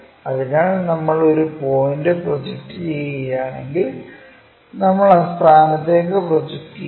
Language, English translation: Malayalam, If we are projecting this point p' it projects there and that goes all the way there